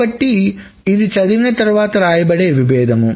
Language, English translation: Telugu, So that is a read after write conflict